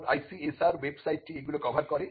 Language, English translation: Bengali, Now, this is what the ICSR website covers